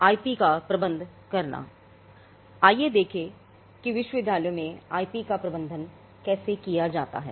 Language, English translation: Hindi, Let us look at how IP is managed in Universities